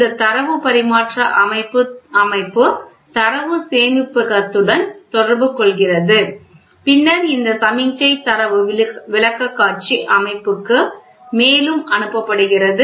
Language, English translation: Tamil, This Data Transmission System communicates to the data storage and then this signal is further sent to Data Presentation System